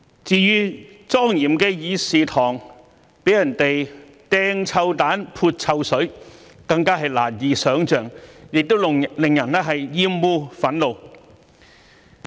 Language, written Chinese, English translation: Cantonese, 至於莊嚴的議事堂被人扔臭彈、潑臭水，更是難以想象，亦令人感到厭惡、憤怒。, The throwing of stinky bombs and the pouring of smelly water in the solemn Chamber were even more unbelievable disgusting and infuriating